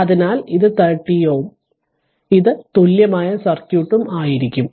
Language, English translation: Malayalam, So, that means, this one will be 13 ohm and this is your Thevenin equivalent circuit right